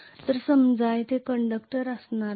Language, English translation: Marathi, So let me consider only two conductors here